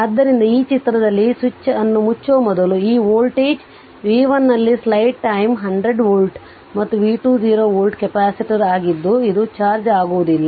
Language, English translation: Kannada, So, this is the diagram it says that before closing the switch this voltage v 1 here what you call 100 volt, and v 2 was 0 volt right capacitor this one is uncharged